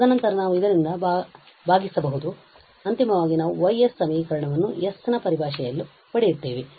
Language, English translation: Kannada, And then we can divide by this, so finally we get the expression for this Y s in terms of s